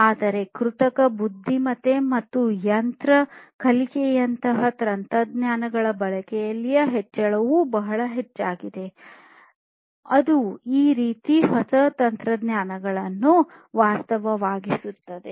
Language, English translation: Kannada, But what is very important also is the increase in the use of technologies such as artificial intelligence and machine learning, that is making these kind of newer technologies, a reality